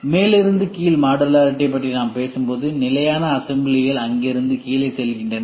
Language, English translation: Tamil, When we talk about top down modularity, it is standard assemblies are there from there it goes down